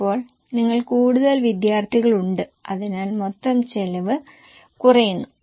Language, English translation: Malayalam, Now you are having more students so total cost is going down